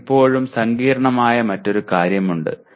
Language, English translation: Malayalam, You still have another complex thing